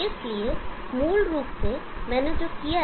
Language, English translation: Hindi, So that is basically what I have done